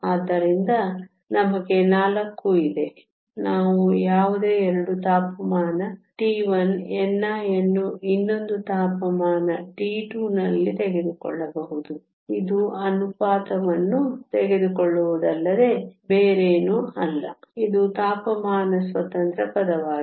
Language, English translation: Kannada, So, n i sum temperature T 1, n i at another temperature T 2; it is nothing but taking this ratio which is here this is a temperature independent term